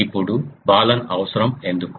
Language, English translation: Telugu, Now why the need Balun